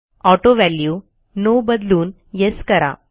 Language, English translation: Marathi, Change AutoValue from No to Yes